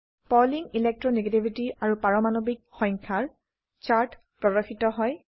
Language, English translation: Assamese, A chart of Pauling Electro negativity versus Atomic number is displayed